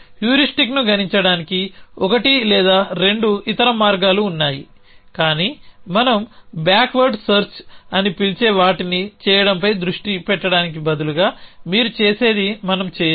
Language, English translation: Telugu, There are 1 or 2 other ways to compute heuristic, but we will not going that what you will do instead is to focus on doing what we call is a back word search